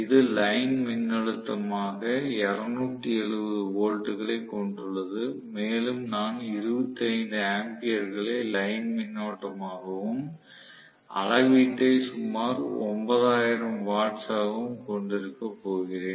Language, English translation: Tamil, It has 270 volts as the line voltage and I am going to have 25 amperes as the line current and about 9000 watts is the reading, okay